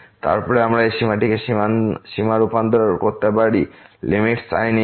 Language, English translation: Bengali, Then, we can convert this limit to the limit inverse